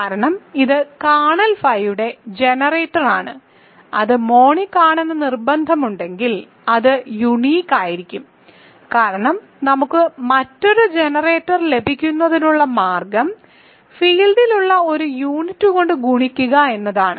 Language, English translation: Malayalam, Because it is the generator of the kernel phi and once we insist that it is monic it is going to be unique because only way that we get another generator is multiplied by a unit